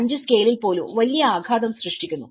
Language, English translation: Malayalam, 5 scale is creating a huge impact